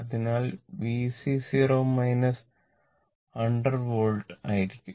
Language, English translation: Malayalam, So, V C 0 minus will be 100 volt